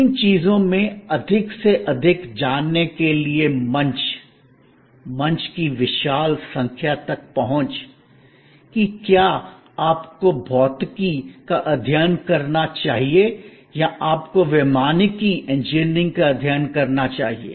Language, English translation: Hindi, Tremendous access to huge number of platforms, forum to know more on more out of these things, that whether you should study physics or you should study aeronautical engineering